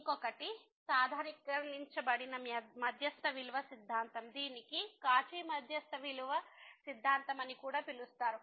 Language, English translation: Telugu, So, there is another one the generalized mean value theorem which is also called the Cauchy mean value theorem